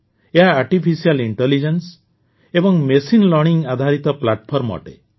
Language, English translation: Odia, This is a platform based on artificial intelligence and machine learning